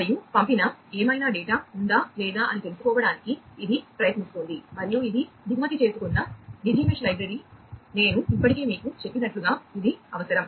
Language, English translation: Telugu, And it is trying to look for whether any there is any data that has been sent and this is this imported Digi Mesh library this is required as I told you already